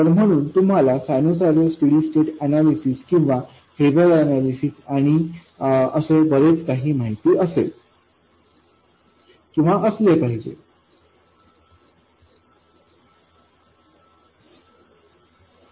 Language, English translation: Marathi, So, you should have known sinusoidal steady state analysis or phaser analysis and so on